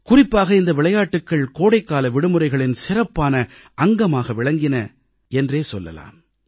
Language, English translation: Tamil, These games used to be a special feature of summer holidays